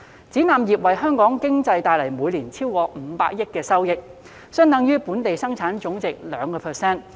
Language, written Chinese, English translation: Cantonese, 展覽業為香港經濟帶來每年超過500億元收益，相等於本地生產總值的 2%。, The exhibition industry generates proceeds of more than 50 billion annually for the Hong Kong economy which is equivalent to 2 % of the Gross Domestic Product